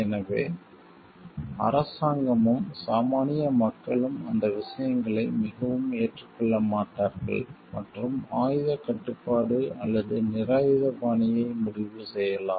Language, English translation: Tamil, So, then the government and the common people will not be very agreeable to those things and maybe decide for arms control, or disarmament